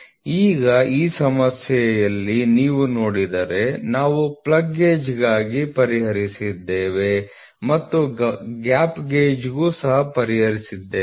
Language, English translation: Kannada, So, now, if you see in this problem, we have just solved for a plug gauge you have solved for plug gauge and we have also solved for gap gauge